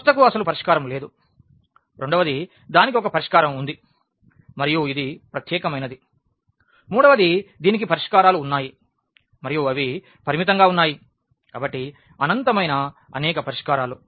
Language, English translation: Telugu, One that the system does not have a solution at all, the second it has a solution and it is unique, the third one it has solutions and they are in finite in number; so, infinitely many solutions